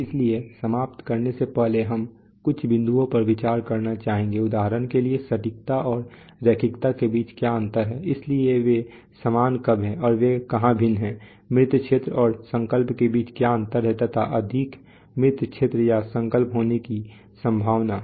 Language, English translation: Hindi, So before closing, we would like to have some points to ponder, so for example what is the difference between accuracy and linearity, so when are the same and where are they different at why, what is the difference between dead zone and resolution, which is likely to be more, dead zone or resolution